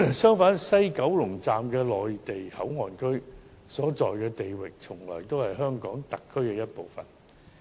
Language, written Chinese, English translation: Cantonese, 相反，西九龍站的內地口岸區所在地域，從來也是香港特區一部分。, The site in which the Mainland Port Area MPA of the West Kowloon Station WKS is located by contrast is part of the HKSAR at all times